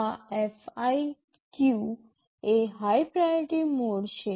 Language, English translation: Gujarati, This FIQ is the high priority mode